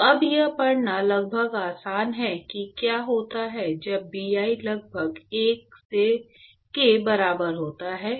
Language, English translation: Hindi, So now, it is almost easy to read what happens when Bi is almost equal to 1